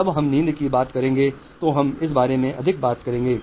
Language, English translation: Hindi, When we will talk of sleep, we will talk more about this